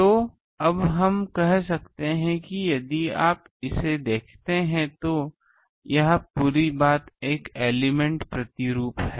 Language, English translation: Hindi, So, now we can say that if you look at it this whole thing is a element pattern